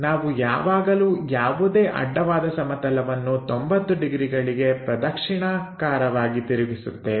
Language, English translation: Kannada, Always we rotate any horizontal plane in the clockwise direction by 90 degrees